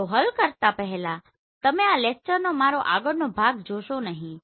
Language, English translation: Gujarati, So before solving you do not see my next part of this lecture